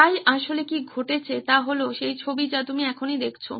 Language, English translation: Bengali, So what really happened is the picture that you see right now